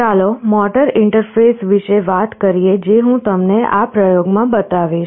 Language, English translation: Gujarati, Let us talk about the motor interface that I shall be showing you in this experiment